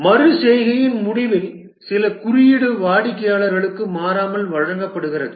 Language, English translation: Tamil, At the end of a iteration, some code is delivered to the customer invariably